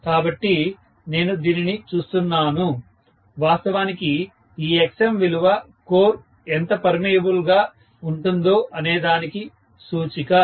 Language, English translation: Telugu, So, I am looking at this, actually this Xm value is an index of how permeable the core is, right